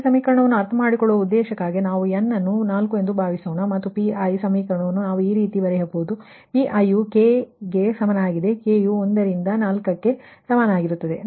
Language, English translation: Kannada, right, and this equation, this pi equation, we can write like this: that pi, pi is equal to say k is equal to one to four